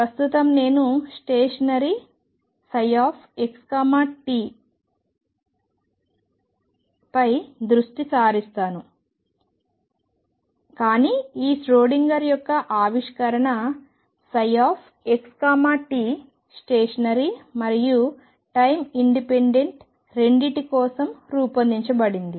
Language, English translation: Telugu, Right now I will focus on stationery psi x t, but a discovery of e Schrödinger was made for psi x t both stationery as well as time independent